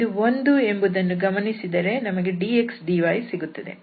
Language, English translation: Kannada, And what we will observe because this is 1 and we have dx dy